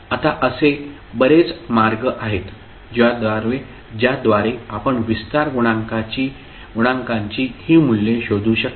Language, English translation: Marathi, Now, there are many ways through which you can find these values of expansion coefficients